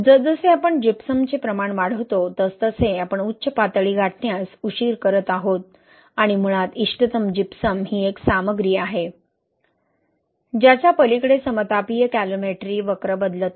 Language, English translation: Marathi, So you see that as we increase the amount of Gypsum, right, we are basically delaying this peak and basically the optimal Gypsum is a content beyond which the isothermal calometry curve does not change, right